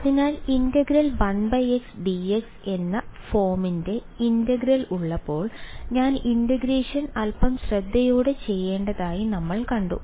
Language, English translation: Malayalam, So, we have seen that when we have integral of the form 1 by x dx, I have to do the integration little bit carefully